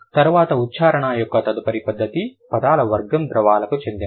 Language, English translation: Telugu, Then the next manner of articulation, the category of words would belong to liquids